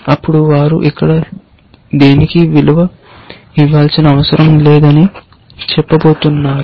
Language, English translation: Telugu, Then, they are going to say that no need to value it anything here